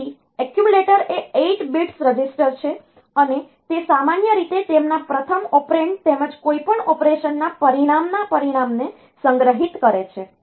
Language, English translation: Gujarati, So, accumulator is an 8 bit register, and it is normally it is storing their, the first operand as well as the result of the result of any operation